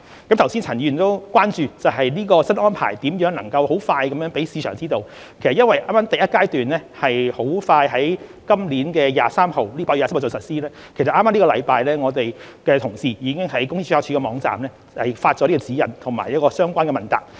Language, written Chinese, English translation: Cantonese, 剛才陳振英議員亦關注，新安排如何能很快讓市場知道，其實因為第一階段快將於今年8月23日實施，剛剛這星期我們的同事已於公司註冊處的網站發出這指引和相關問答。, Just now Mr CHAN Chun - ying also expressed concern about how the implementation of the new regime could be communicated to the market quickly . In fact given that Phase 1 will soon commence on 23 August this year relevant guidelines and frequently asked questions have already been posted on the website of the Company Registry earlier this week